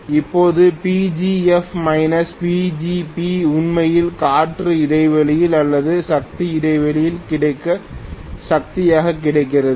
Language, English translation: Tamil, Now, PGF minus PGB is actually what is available as the power through the air gap or power which is available in the air gap